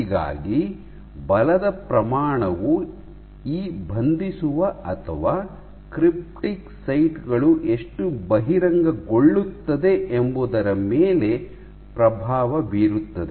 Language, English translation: Kannada, So, the magnitude of the force will influence how many of these binding or cryptic sides get exposed